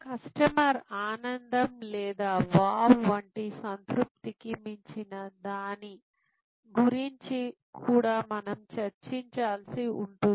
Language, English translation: Telugu, We will also have to discuss about, what goes beyond satisfaction in the customer delight or wow